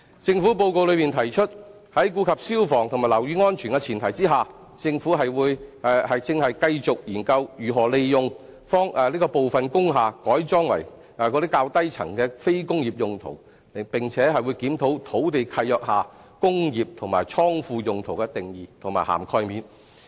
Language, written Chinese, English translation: Cantonese, 施政報告中指出，在顧及消防及樓宇安全的前提下，政府亦正繼續研究如何利用部分工廈改裝較低層作非工業用途，並檢討土地契約下"工業"及"倉庫"用途的定義和涵蓋面。, It is highlighted in the Policy Address that the Government is also studying how to facilitate the conversion of the lower floors of industrial buildings for non - industrial purposes subject to fire safety and building safety requirements and will review the definition and coverage of industrial and godown uses in land leases